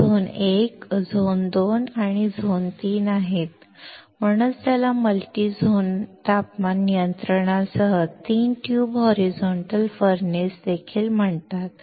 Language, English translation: Marathi, They are Zone 1, Zone 2 and, Zone 3, and that is why it is called three tube horizontal furnace with multi zone temperature control